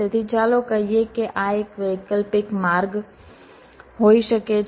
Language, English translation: Gujarati, so let say, this can be one alternate route